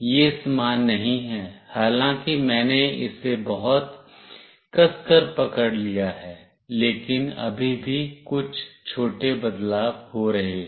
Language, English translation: Hindi, It is not the same although I have held it very tightly, but still there are some small variations